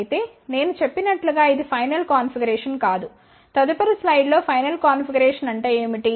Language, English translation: Telugu, However, as I mentioned this is not the final configuration; in the next slide I will show you what is the final configuration